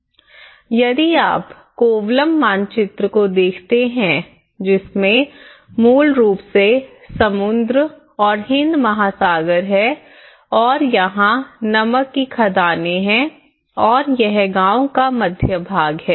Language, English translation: Hindi, If you look at the Kovalam map and this is basically, the sea and then Indian Ocean and you have the salt mines here and this is the main heart of the village